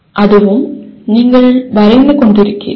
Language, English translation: Tamil, This is also you are drawing